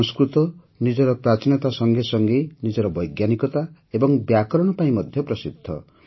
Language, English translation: Odia, Sanskrit is known for its antiquity as well as its scientificity and grammar